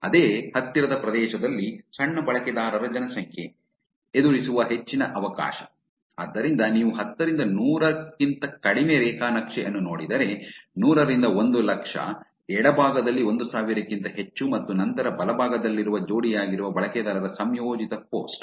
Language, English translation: Kannada, Smaller user population in same nearby area, higher chance of encounter, so if you look at a graph less than 10 to 100, 100 to 100,000, greater than 1000 on the left and then combined post of paired user which is on the right